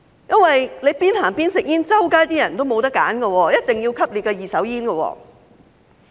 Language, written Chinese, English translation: Cantonese, 因為邊走邊吸煙的話，街上的人沒有選擇，一定要吸入二手煙。, If people smoke while walking others on the street have no choice but to inhale second - hand smoke